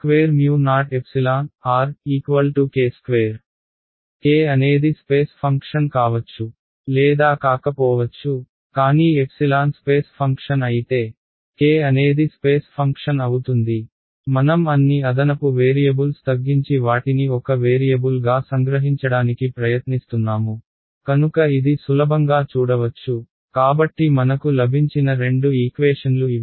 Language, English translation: Telugu, K may or may not be a function of space, but if like epsilon is a function of space, then k will also be a function of space ok, just a I am trying to reduce all the extra variables and condense them to one variable, so that is easy to see alright, so these are the two equation that we have got